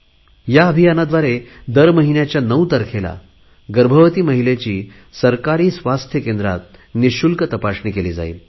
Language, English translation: Marathi, Under this, on the 9th of every month, all pregnant women will get a checkup at government health centers free of cost